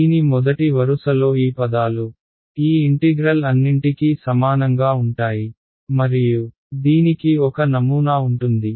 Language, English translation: Telugu, The first row of this will be what these terms right this integral this integral all of this and there is a pattern to this